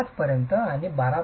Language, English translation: Marathi, 5 and beyond 12